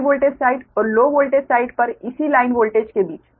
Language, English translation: Hindi, so ratio of the line voltage on high voltage and low voltage side are the same, right